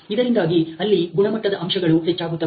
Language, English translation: Kannada, So, that there is a increase in the quality aspects